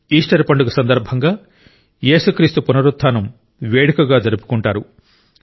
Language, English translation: Telugu, The festival of Easter is observed as a celebration of the resurrection of Jesus Christ